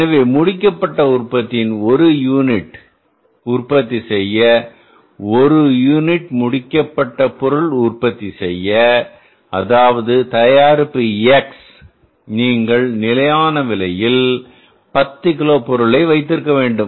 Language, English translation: Tamil, So it means one unit of the finished product to manufacture the one unit of the finished product that is product X, you need to have the 10 kages of the material at the price of standard price of the material of 2